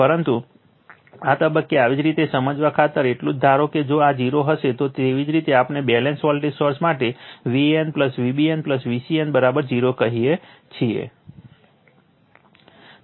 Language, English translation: Gujarati, But, for the sake of your understanding at this stage you just assume that your if this is 0, there will be your, what we call for balanced voltage source V a n plus V b n plus V c n is equal to 0 right